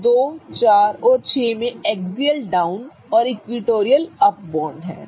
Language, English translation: Hindi, So, 24 and 6 have an axial down and equatorial up bond